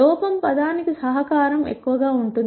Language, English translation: Telugu, The contribution to the error term will be high